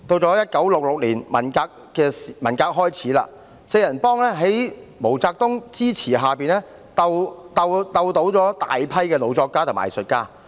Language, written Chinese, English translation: Cantonese, 到1966年，文革開始，四人幫在毛澤東支持下鬥倒大批老作家和藝術家。, In 1966 the Cultural Revolution started and with the support of MAO Zedong the Gang of Four succeeded in struggling against a large number of senior writers and artists